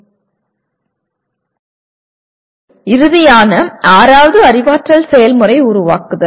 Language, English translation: Tamil, Now the final sixth cognitive process is create